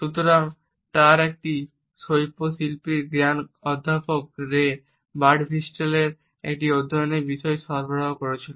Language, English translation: Bengali, So, his insights into the art form also provided a study material to Professor Ray Birdwhistell